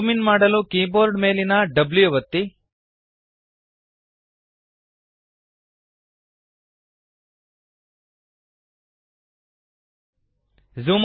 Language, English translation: Kannada, Press W on the keyboard to zoom in